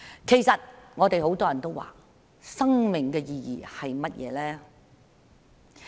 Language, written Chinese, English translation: Cantonese, 其實，我們很多人都問，生命的意義是甚麼？, In fact many of us ask What is the meaning of life?